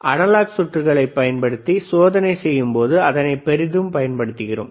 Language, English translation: Tamil, And that also we we heavily use when we do the analog circuits experiments